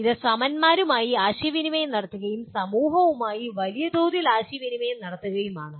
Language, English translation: Malayalam, That is communicating with your peers and communicating with society at large